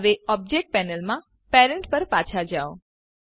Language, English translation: Gujarati, Now go back to Parent in the Object Panel